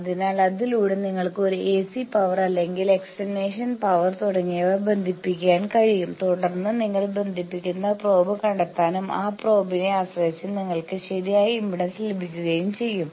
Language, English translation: Malayalam, So, by that you can connect an AC power or external power etcetera then you can also find out the probe that you are connecting, depending on that probe, that you can get proper impedance